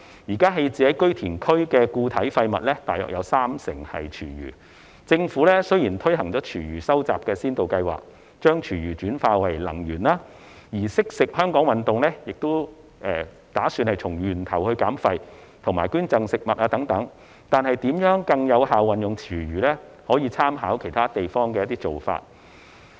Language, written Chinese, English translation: Cantonese, 現時棄置於堆填區的固體廢物約有三成為廚餘，政府雖然已推行廚餘收集先導計劃，將廚餘轉化為能源；而"惜食香港運動"也提倡從源頭減廢及捐贈食物等，但如何更有效運用廚餘，可參考其他地方的做法。, At present food waste accounts for about 30 % of the solid waste disposed of at landfills . Although the Government has implemented the Pilot Scheme on Food Waste Collection in a bid to convert food waste into energy whereas the Food Wise Hong Kong Campaign also advocates waste reduction at source and donation of food etc reference should be drawn from the practices of other places regarding how to make use of food waste in a more effective manner